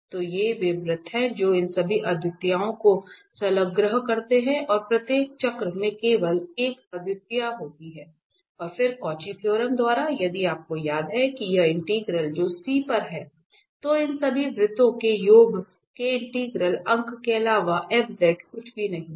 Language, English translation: Hindi, So, these are the circles which encloses all these singularities, and having only one singularities in each circle and then by the Cauchy Theorem if you remember that this integral over the C f z is nothing but the integral of the sum of all these circles